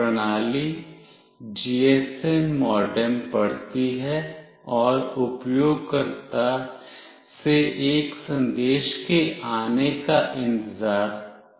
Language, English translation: Hindi, The system reads the GSM modem and waits for arrival of a message from the user